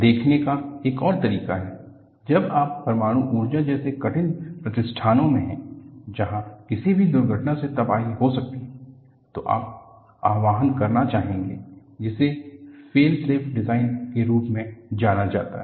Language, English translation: Hindi, Another way of looking at is, when you are having difficult installations like nuclear power, where any accident can lead to catastrophe, you would like to invoke, what is known as Fail safe design